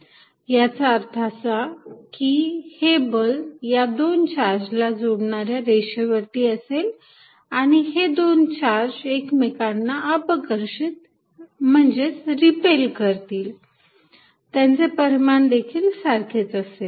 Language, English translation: Marathi, What it means is that, the force is going to be along the same lines as the line joining the charges and they going to repel each other and the magnitude being the same